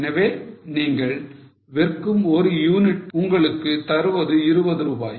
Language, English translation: Tamil, So, one unit you sell gives you 20 rupees